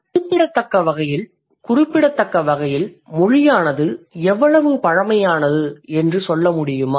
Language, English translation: Tamil, Can you tell me how old language as a phenomenon is